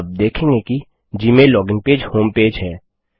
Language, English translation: Hindi, You will notice that the Gmail login page is the homepage